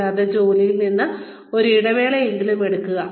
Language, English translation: Malayalam, And, at least take a break, from work